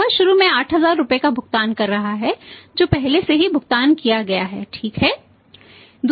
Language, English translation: Hindi, He is paying this first 8000 rupees which has ordered spent his already paid right